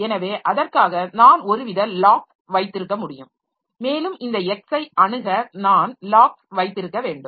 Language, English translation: Tamil, So, for that I can have some sort of lock around this and to access this X I should get a hold of the lock